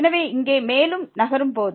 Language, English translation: Tamil, So, here moving further